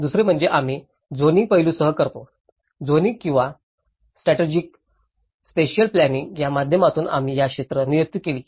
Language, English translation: Marathi, The second one is we do with the zoning aspect; also we designated these areas through zoning or strategic spatial planning